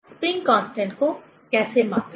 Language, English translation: Hindi, How to measure the spring constant